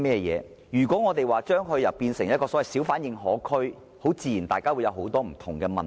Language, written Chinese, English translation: Cantonese, 如果我們說是要將它變成一個小販認可區，大家自然要考慮很多不同的問題。, If we want to turn bazaars into hawker permitted areas we naturally have to consider various issues